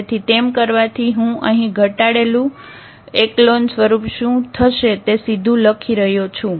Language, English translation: Gujarati, So, that doing so, I am writing directly here what will be the reduced echelon form